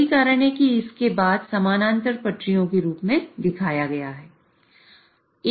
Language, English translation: Hindi, So, that is why it is shown as a parallel tracks after this